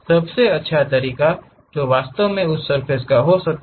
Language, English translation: Hindi, What is the best way one can really have that surface